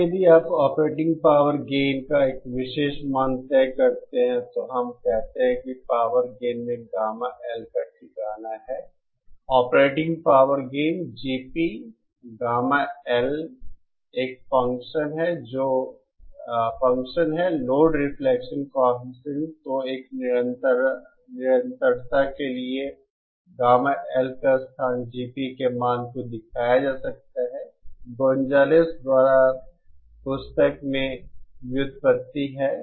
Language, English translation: Hindi, Now if you fix a particular value of the operating power gain, then the locus of gamma L we call that in power gain, operating power gain GP is a function of gamma L, the load reflection coefficient then the locus of gamma L for a constant value of GP can be shown, the derivation is there in the book by Gonzales